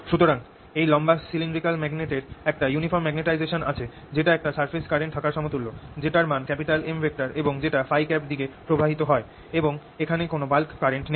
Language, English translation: Bengali, so this long, slender cylindrical magnet having uniform magnetization is equivalent to having surface current which is equal to m, flowing in phi direction and no bulk current